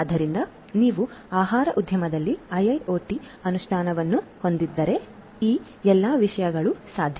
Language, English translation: Kannada, So, all of these things are possible if you have IIoT implementation in the food industry